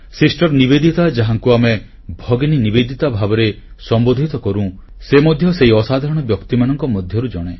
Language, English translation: Odia, Sister Nivedita, whom we also know as Bhagini Nivedita, was one such extraordinary person